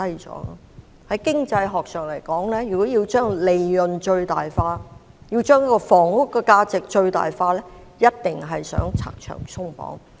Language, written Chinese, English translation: Cantonese, 在經濟學上來說，如果要把利潤最大化，要把房屋的價值最大化，必定要拆牆鬆綁。, In terms of economic theory to achieve profit maximization and housing price maximization obstacles and barriers must be removed